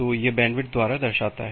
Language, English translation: Hindi, So, that is signifies by the bandwidth